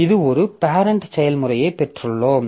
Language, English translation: Tamil, So, this is the parent process